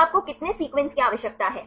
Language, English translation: Hindi, So, how many sequences do you require